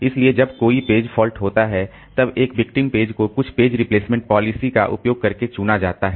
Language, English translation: Hindi, So, whenever a page fault occurred a victim page will be chosen using some page replacement policy